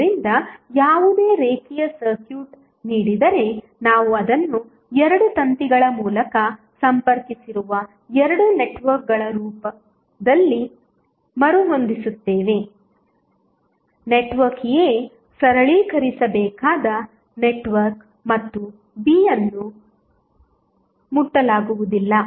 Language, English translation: Kannada, So, given any linear circuit, we rearrange it in the form of 2 networks A and B connected by 2 wires, network A is the network to be simplified and B will be left untouched